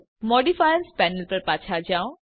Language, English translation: Gujarati, Go back to the Modifiers Panel